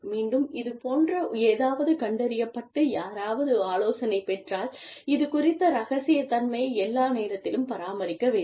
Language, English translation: Tamil, And again, if something like this is detected, and somebody is counselled, then confidentiality of this should be maintained, at all costs